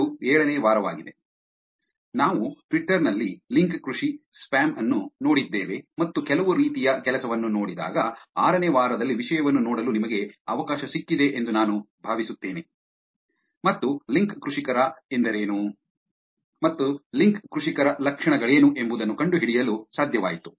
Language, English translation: Kannada, So, this is week 7, I hope you got a chance to look at the content in week 6 where we looked at link farming spam in Twitter and some kind of work which was able to find out what link farmers are what is the characteristic of link farmers